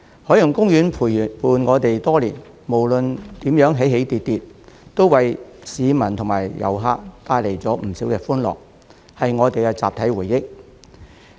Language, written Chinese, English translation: Cantonese, 海洋公園陪伴我們多年，無論如何起起跌跌，都為市民及遊客帶來不少歡樂，是我們的集體回憶。, OP has accompanied us for many years and despite its ups and downs it has brought plenty of joy to the public and tourists and it is our collective memory